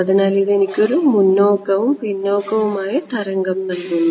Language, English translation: Malayalam, So, this is going to be give me a forward and a backward wave right